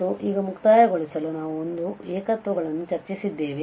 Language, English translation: Kannada, And just to conclude now, so we have discussed singular points today